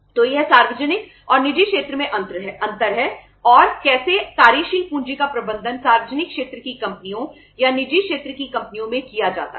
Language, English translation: Hindi, So this is the difference in the public and the private sector and how the working capital is managed in the public sector companies or in the private sector companies